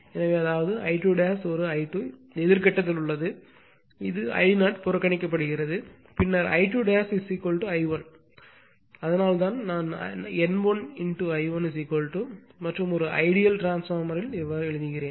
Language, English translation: Tamil, So, just in anti phase that means, I 2 dash an I 2 actually in anti phase is this I 0 is neglected then then I 2 dash is equal to your I 1 that is why I wrote N 1 I 1 is equal to and from an ideal transformer, right